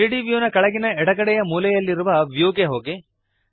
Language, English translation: Kannada, Go to View at the bottom left corner of the 3D view